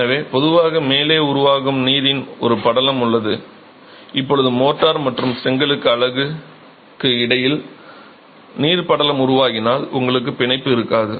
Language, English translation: Tamil, So, there is a film of water that typically forms at the top and now if a film of water is formed between the mortar and the brick unit, you will have no bond